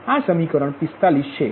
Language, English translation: Gujarati, this is equation forty five